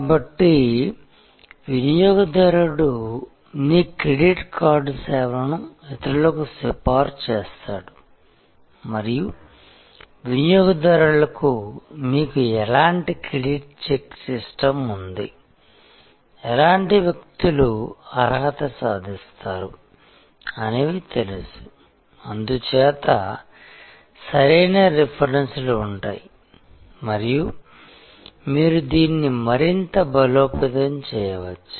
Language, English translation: Telugu, So, the customer recommends your credit card service to others and the customer knows what kind of credit check system that you have, what kind of people will qualify and therefore, the right kind of references and you can actually further reinforce it